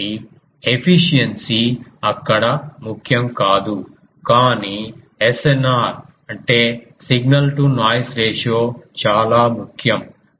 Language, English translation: Telugu, So, efficiency is not a concern there, but SNR is a concern